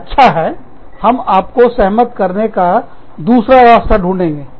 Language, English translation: Hindi, We will find, some other way, to convince you